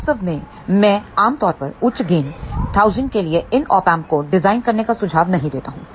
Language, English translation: Hindi, In fact, I would generally recommend donot try to design these Op Amps for very high gain of 1000